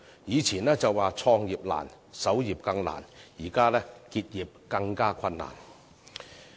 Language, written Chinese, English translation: Cantonese, 以前的說法是"創業難，守業更難"，現在是"結業更困難"。, We used to say it is not easy to start a new business but even more difficult to stay afloat . Nowadays it is even more difficult to fold up